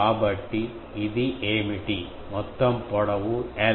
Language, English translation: Telugu, So, what is this that the total length is l